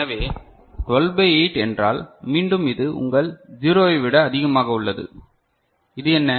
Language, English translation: Tamil, So 12 by 8 means, again it is more than your 0 so, this is what